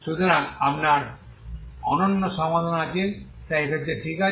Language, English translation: Bengali, So you have again unique solution, so in this case, okay